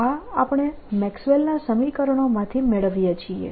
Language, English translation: Gujarati, this is what we get from the maxwell's equations